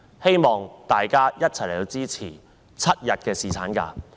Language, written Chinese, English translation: Cantonese, 希望大家一起支持7日侍產假。, I urge Members to support a seven - day paternity leave